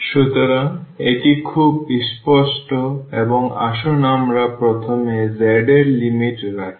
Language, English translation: Bengali, So, it is very clear or let us first put the limits of the z